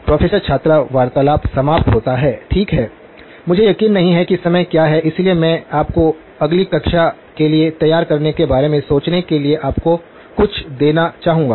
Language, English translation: Hindi, “Professor – student conversation ends” Okay, I am not sure what is the time okay, so let me just sort of give you something for you to think about as you prepare for the next class